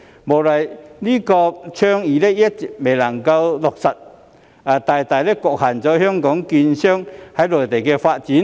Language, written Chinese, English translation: Cantonese, 無奈的是，這項倡議一直未能落實，大大局限了香港券商在內地的發展。, Regrettably this initiative has not been realized even today and the development of Hong Kong securities dealers on the Mainland has been greatly constrained as a result